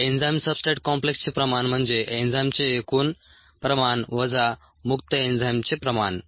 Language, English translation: Marathi, the concentration of the enzyme substrate complex is total concentration of the enzyme minus the concentration of the free enzyme